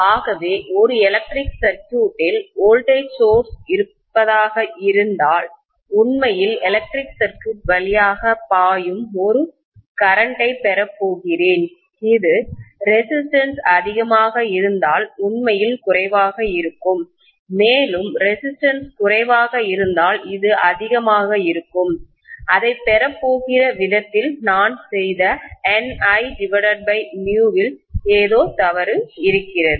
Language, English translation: Tamil, I am going to have a current which is flowing actually through the electric circuit which will be actually less if the resistance is more and it will be more if the resistance is less, I am going to have it that way something is wrong the way I have done